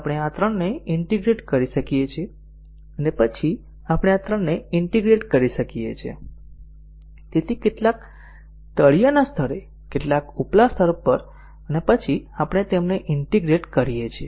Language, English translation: Gujarati, So, we might integrate these three and then we might integrate these three, so some at the bottom level some at the top level and then we integrate them together